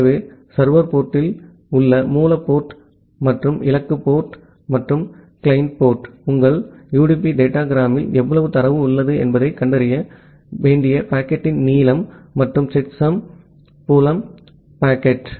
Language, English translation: Tamil, So, the source port and the destination port at the server port, and the client port, the length of the packet which is required to find out that how much data is there in your UDP datagram and a checksum field to check the correctness of the packet